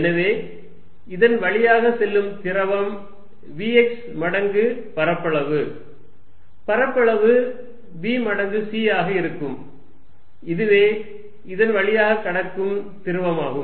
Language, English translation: Tamil, So, fluid passing through this is going to be v x times the area, area is going to be b times c, this is a fluid passing through it